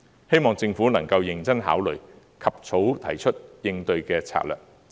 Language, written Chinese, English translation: Cantonese, 希望政府能夠認真考慮，及早提出應對的策略。, I hope that the Government will consider it seriously and come up with a solution accordingly as soon as practicable